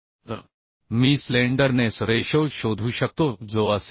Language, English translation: Marathi, 73 So I can find out the slenderness ratio that will be 0